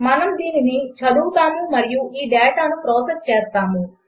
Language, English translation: Telugu, We are going to read it and process this data